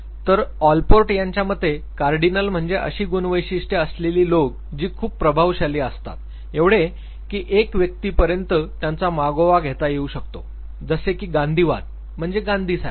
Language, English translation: Marathi, So according to Allport, there are some traits which are Cardinal means they are so dominant that nearly you can trace back the individual to that specific type of a trait like say Gandhian, Machiavellian